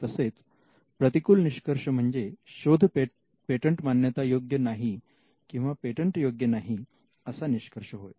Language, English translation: Marathi, The conclusion could be a negative one stating that the invention cannot be patented or may not be patentable